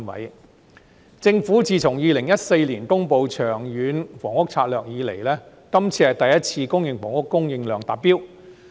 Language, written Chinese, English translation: Cantonese, 自從政府2014年公布《長遠房屋策略》以來，今次是公營房屋供應量首次達標。, This is the first time since the Government announced the Long Term Housing Strategy in 2014 that the public housing supply has reached the target